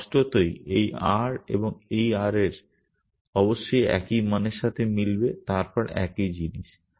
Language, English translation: Bengali, So obviously, this r and this r must match the same value then the same thing